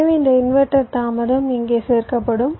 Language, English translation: Tamil, so this inverter delay will get added here